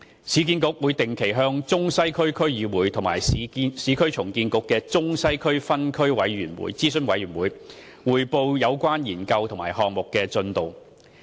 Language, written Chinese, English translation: Cantonese, 市建局會定期向中西區區議會及市建局中西區分區諮詢委員會匯報有關研究及項目的進度。, URA will report regularly to the Central and Western District Council and URA Central and Western District Advisory Committee on the progress of the relevant study and the revitalization project